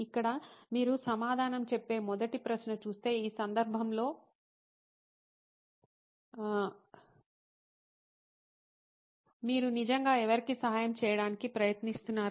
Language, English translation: Telugu, Here, if you see the first question to answer is, who are you trying to help really in this case